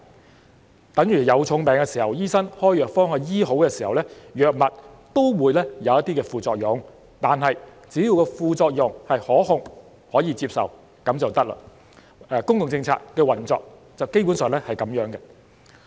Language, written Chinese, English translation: Cantonese, 這便等於有重病時，醫生開藥方治好，藥物也會有副作用，但是，只要副作用是可控和可接受便可以，公共政策的運作基本上也是這樣。, This is the same as when a doctor prescribes a cure for a serious illness the drug will have side effects but as long as the side effects are manageable and acceptable it is still fine . Basically this is also how public policies work